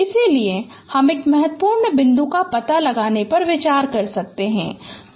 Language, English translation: Hindi, So we can consider once we detected a key point